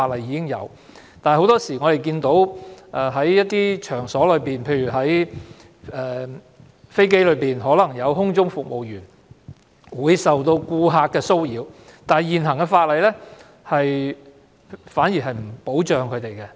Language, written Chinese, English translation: Cantonese, 但是，很多時候在一些場所，例如在飛機上，空中服務員可能受到顧客騷擾，現行法例並沒有保障僱員。, However very often employees may be harassed by customers in some places . For instance a flight attendant may be harassed by a customer on a plane but the existing legislation does not provide any protection for employees